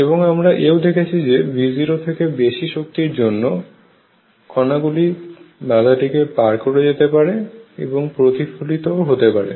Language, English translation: Bengali, And we also showed that for energy is greater than V 0 energy is greater than V 0 particles can go through and also still reflect